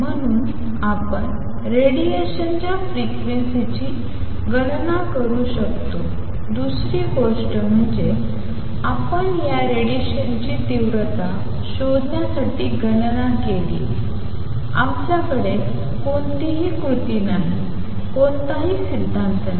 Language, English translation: Marathi, So, we could calculate the frequencies of radiation, the other thing we did was to calculate to find intensities of these radiations, we have no recipe, no theory